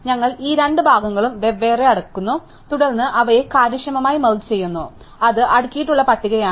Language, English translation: Malayalam, We sort these two parts separately and then, we efficiently merge them, into a sorted list